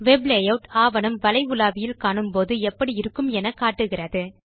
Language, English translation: Tamil, The Web Layout option displays the document as seen in a Web browser